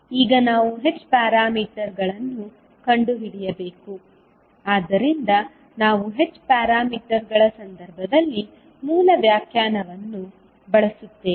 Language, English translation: Kannada, Now we need to find out the h parameters, so we will use the basic definition for in case of h parameters